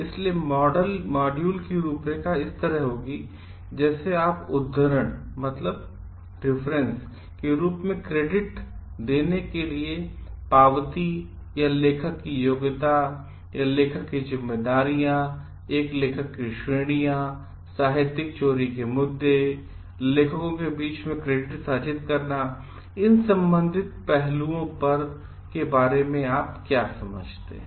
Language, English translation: Hindi, So, the outline of the module will be like what you understand for crediting as citation, acknowledgement, qualification of authorship, their responsibilities of an author, categories of an author, issues of plagiarism, sharing of credit amongst authors and final aspects with related to it